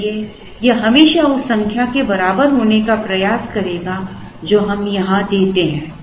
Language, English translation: Hindi, So, this will always push to be equal to their number that we give here